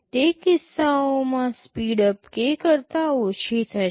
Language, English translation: Gujarati, In those cases, the speedup will become less than k